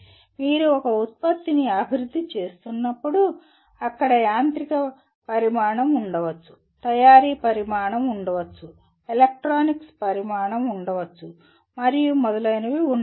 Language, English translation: Telugu, There could be when you are developing a product there could be mechanical dimension, there could be manufacturing dimension, there could be electronics dimension and so on